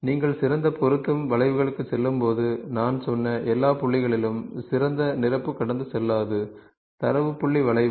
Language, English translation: Tamil, When you go to best fit curves, the best fill will not pass through all the points which I told you, data point curve